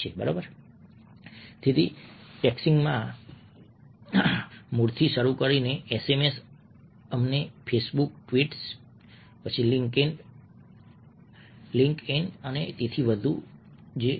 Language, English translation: Gujarati, ok, so, starting from the rudiments of texting sms, to let say, facebook tweets, twitters linked in, and so on and so forth